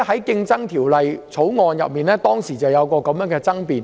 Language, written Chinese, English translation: Cantonese, 《競爭條例草案》委員會當時曾出現這樣的爭辯。, Such a debate did arise at the Bills Committee on Competition Bill at that time